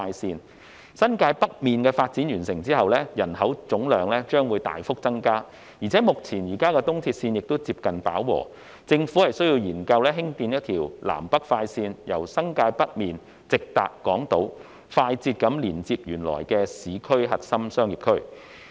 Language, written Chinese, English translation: Cantonese, 在新界北完成發展後，其總人口將大幅增加，加上現有的東鐵綫也接近飽和，政府需要研究興建一條南北快綫，由新界北直達港島，快捷地連接原有的市區核心商業區。, New Territories North will have a substantial population increase upon the development . Moreover the capacity of the existing East Rail Line is near saturation . The Government has to conduct studies on constructing a north - south express railway for establishing an express direct connection between New Territories North and Hong Kong Island as well as the existing core business districts in the urban areas